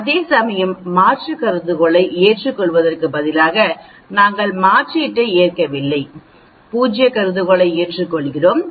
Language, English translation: Tamil, Whereas, instead of accepting alternate hypothesis we do not accept alternate, we accept null hypothesis